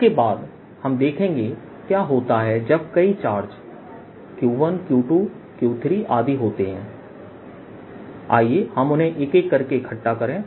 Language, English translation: Hindi, next, what happens when many charges q one, q two, q three and so on, or there, let's assemble them one by one